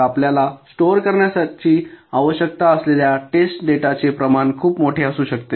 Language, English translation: Marathi, so the volume of test data that you need to store can be pretty huge